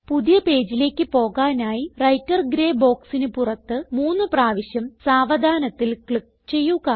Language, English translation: Malayalam, For this, let us first click outside this Writer gray box three times slowly